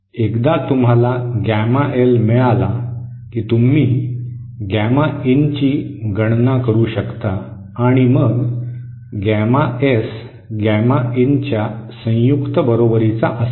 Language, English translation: Marathi, Once you get gamma L, you can calculate gamma in and then gamma S will be equal to gamma in conjugate